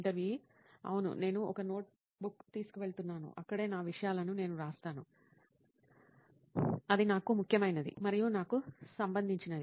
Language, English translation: Telugu, Yes, I do carry a notebook which is where I write my stuff which is important and relevant to me